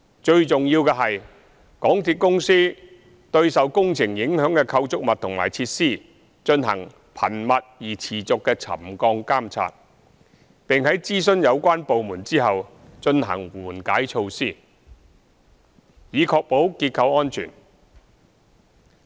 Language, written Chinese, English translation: Cantonese, 最重要的是，港鐵公司對受工程影響的構築物和設施進行頻密而持續的沉降監察，並在諮詢有關部門後，進行緩解措施，以確保結構安全。, It is important that the MTRCL shall monitor the subsidence of the relevant structures and facilities in a frequent and continuous manner during its implementation works . Upon consulting relevant departments the MTRCL would carry out mitigation measures to ensure the structural safety of the facilities